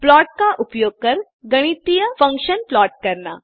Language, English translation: Hindi, Plot mathematical functions using plot